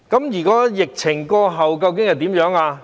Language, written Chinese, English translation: Cantonese, 疫情過後究竟會怎樣？, What will the post - pandemic situation be?